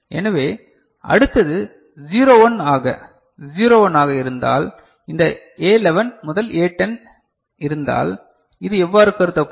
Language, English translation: Tamil, So, next if it is 01 so 01, this A11 to A10 so, this is what it will be considered